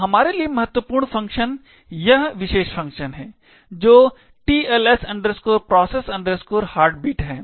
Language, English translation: Hindi, So, the important function for us is this particular function that is the TLS process heartbeat okay